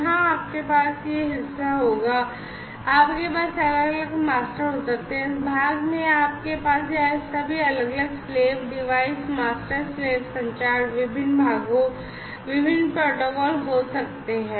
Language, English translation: Hindi, So, here you would be having this part you could be having all these different master and this part you could be having all these different slave devices and master slave communication, different parts, different protocols